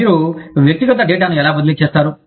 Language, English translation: Telugu, How do you transfer, that personal data